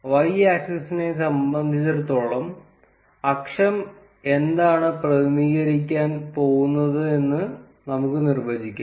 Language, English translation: Malayalam, And for y axis, we can simple define what the axis is going to represent